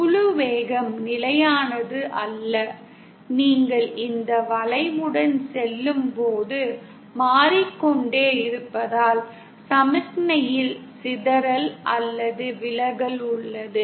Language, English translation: Tamil, Because the group velocity is not constant and keeps changing as you go along this curve, there is dispersion or distortion present in the signal